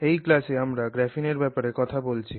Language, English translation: Bengali, Hello, in this class we are going to look at graphene